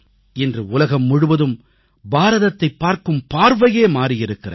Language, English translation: Tamil, Today the whole world has changed the way it looks at India